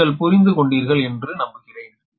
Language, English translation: Tamil, hope this you have understood